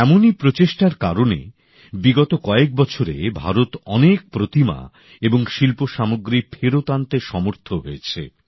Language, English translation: Bengali, Because of such efforts, India has been successful in bringing back lots of such idols and artifacts in the past few years